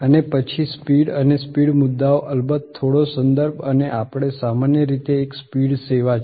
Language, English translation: Gujarati, And then speed and the speed issues of course, the little contextual and we normally one speed is service